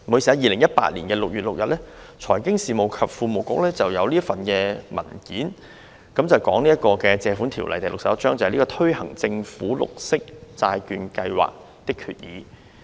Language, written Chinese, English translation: Cantonese, 在2018年6月6日，財經事務及庫務局曾發出一份文件，題為"《借款條例》推行政府綠色債券計劃的決議"。, On 6 June 2018 the Financial Services and the Treasury Bureau issued a paper entitled Loans Ordinance Chapter 61 Resolution to Implement the Government Green Bond Programme